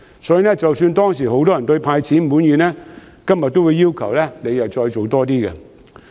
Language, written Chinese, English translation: Cantonese, 先前即使很多人對"派錢"滿意，今天也會要求政府多走一步。, Many of those who were once satisfied with the cash handout initiative are now asking the Government to do more